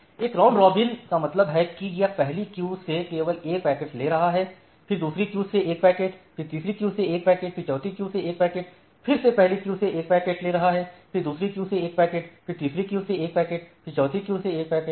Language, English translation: Hindi, A round robin scheduling means it is just taking one packet from the first queue, then one packet from the second queue, then one packet from the third queue, then one packet from the fourth queue, one packet from the again, one packet from the first queue, one packet from the second queue, one packet from the third queue